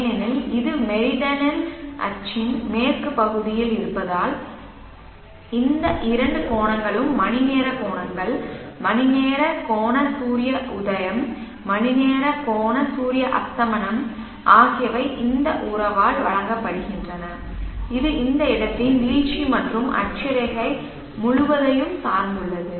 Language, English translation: Tamil, Because it is on the west side of the original axis so these two angles our angles our angle sunrise our angle sunset are given by this relationship, entirely dependent on the declination and the latitude of the place